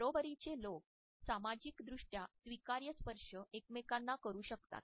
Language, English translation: Marathi, Equals may touch each other within the justifiable socially acceptable touch behavior